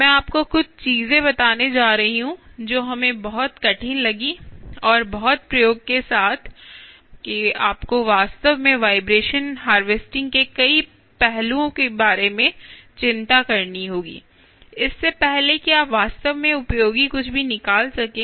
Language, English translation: Hindi, we found it extremely, i would say, hard and also with lot of, i would say, a lot of experimentation, that you will have to really worry about many, many aspects of vibration harvesting before you can actually extract anything useful